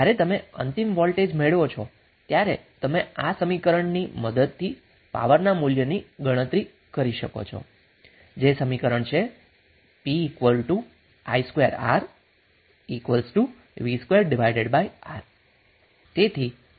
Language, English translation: Gujarati, When you get final voltage you can simply calculate the value of power with the help of this equation that P is equal to V square by R